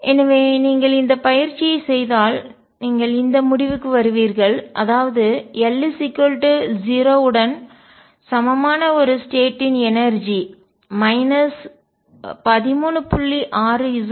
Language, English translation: Tamil, So, if you do this exercise what you will conclude is that the energy for a state with l equal to 0 is minus 13